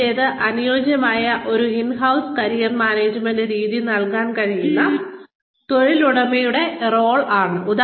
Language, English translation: Malayalam, The first is, role of employer, who can provide, a tailored in house Career Management method